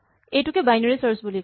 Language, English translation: Assamese, This is called Binary search